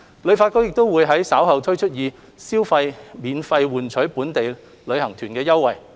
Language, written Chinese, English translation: Cantonese, 旅發局亦會於稍後推出以消費免費換取本地旅遊團的優惠。, HKTB will also roll out offers later so that residents can redeem free local tours through spending